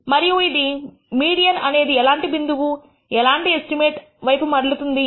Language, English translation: Telugu, And it turns out that the median is such a point, such an estimate